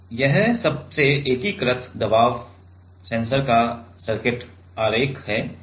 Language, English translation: Hindi, This is circuit diagram of the most integrated pressure sensor